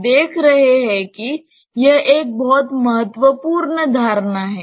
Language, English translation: Hindi, It is you see that we are having one very important assumption